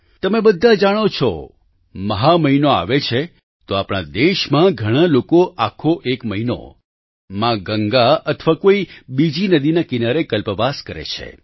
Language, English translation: Gujarati, All of you are aware with the advent of the month of Magh, in our country, a lot of people perform Kalpvaas on the banks of mother Ganga or other rivers for an entire month